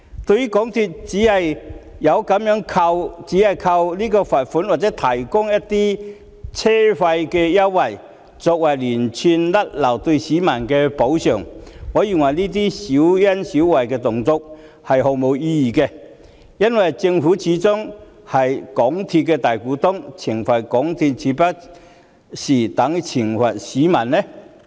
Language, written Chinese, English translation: Cantonese, 對於港鐵公司只是靠罰款或提供車費優惠作為就連串失誤對市民的補償，我認為這些小恩小惠是毫無意義的，因為政府始終是港鐵公司的大股東，懲罰港鐵豈不是等於懲罰市民？, MTRCL compensates the public for the repeated blunders by paying a fine or offering fare concessions which in my opinion are meaningless petty favours because the Government is after all the major shareholder of MTRCL so a penalty on MTRCL is no different from a penalty on the public